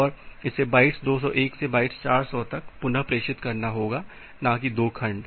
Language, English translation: Hindi, And it need to retransmit bytes 201 to bytes 400, not the 2 segment